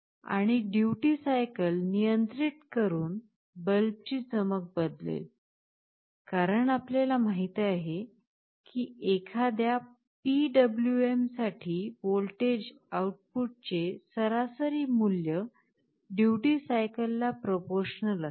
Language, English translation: Marathi, And by controlling the duty cycle, the brightness of the bulb will change, because as you know for a PWM the average value of the voltage output will be proportional to the duty cycle